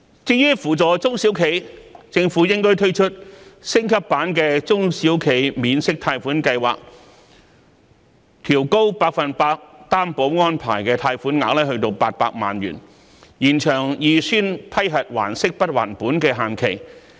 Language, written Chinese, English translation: Cantonese, 至於扶助中小企，政府應推出升級版的中小企免息貸款計劃，調高百分百擔保安排的貸款額至800萬元，延長預先批核還息不還本的限期。, With regard to the support for SMEs the Government should launch an enhanced version of the interest - free loan scheme for SMEs increase the maximum amount of loan granted under the Special 100 % Loan Guarantee to 8 million and extend the period of repayment deferment under the Pre - approved Principal Payment Holiday Scheme